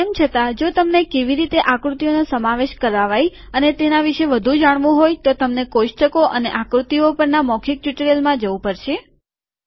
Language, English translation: Gujarati, By the way if you want to know about how to include a figure and more about it you have to go to the spoken tutorial on tables and figures